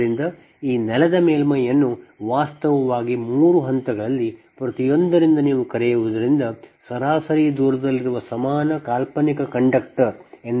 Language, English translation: Kannada, so this ground surface actually is approximated as an equivalent fictitious conductor, located an average distance right from your, what you call from each of the three phase